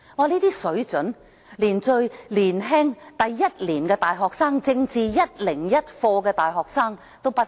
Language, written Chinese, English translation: Cantonese, 這般水準的發言，連最年輕的大學一年級生及修讀政治課101的大學生也不如。, The standard of their speeches is even inferior to those of first - year undergraduate students or university students taking Politics 101